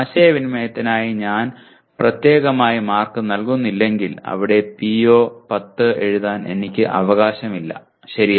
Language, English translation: Malayalam, If I do not give marks specifically for communication, I do not have right to write PO10 there, okay